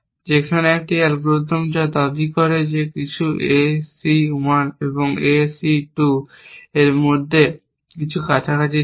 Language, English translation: Bengali, which his claim to be some were between A C 1 and A C 2 or close to